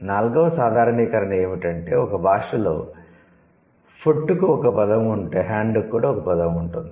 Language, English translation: Telugu, The fourth generalization is, if a language has a word for food, then it also has a word for hand